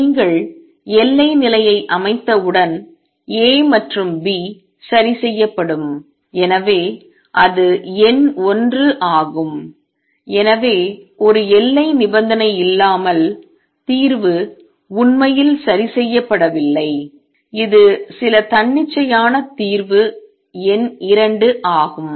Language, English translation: Tamil, Once you set the boundary condition, then A and B are fixed; so that is number 1, so without a boundary condition, solution is not really fixed it is some arbitrary solution number 2